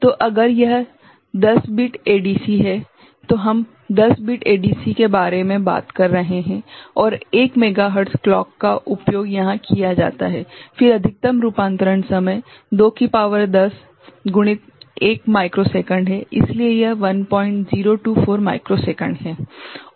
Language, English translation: Hindi, So, if it is a 10 bit ADC, we are talking about 10 bit ADC and 1 megahertz clock is used here right, then maximum conversion time is 2 to the power 10 into or 1 micro second, so, it is 1